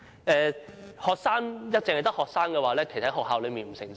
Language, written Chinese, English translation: Cantonese, 如果只有學生推動"港獨"，其實在學校內不會成事。, If it is only students who promote Hong Kong independence nothing can be achieved on campus actually